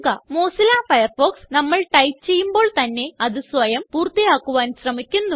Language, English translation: Malayalam, We see that Mozilla Firefox tries to auto complete the word we are typing